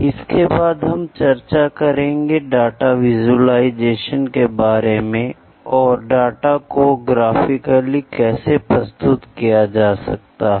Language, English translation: Hindi, Then we will talk something about the data visualisation, how to graphically represent the data